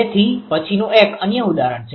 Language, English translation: Gujarati, So, next one is an another example right